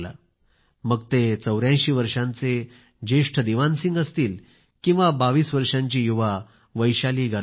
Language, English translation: Marathi, Be it an 84 year old elderly man Diwan Singh, or a 22 year old youth Vaishali Garbyaal